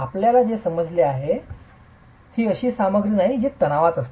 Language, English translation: Marathi, What we do understand is this is not a material that is meant for tension